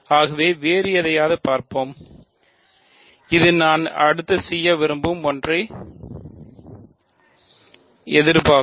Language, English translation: Tamil, So, let us look at something more, something different and this will also anticipate something that I want to do next